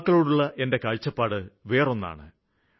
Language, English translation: Malayalam, My experience regarding youth is different